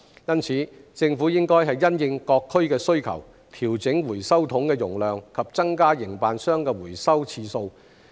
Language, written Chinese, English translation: Cantonese, 因此，政府應因應各區的需求，調整回收桶的容量及增加營辦商的回收次數。, Hence the Government should adjust the capacity of the recycling bins and increase the frequency of recovery by operators in the light of the demands in respective districts